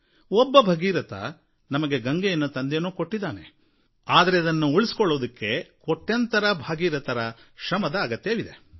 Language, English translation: Kannada, Bhagirath did bring down the river Ganga for us, but to save it, we need crores of Bhagiraths